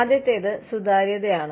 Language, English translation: Malayalam, The first is transparency